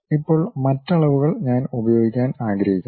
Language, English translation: Malayalam, Now, other dimensions I would like to use